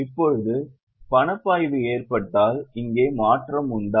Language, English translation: Tamil, Now is there a change here in case of cash flow